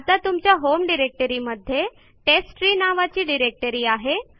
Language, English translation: Marathi, So say you have a directory with name testtree in your home directory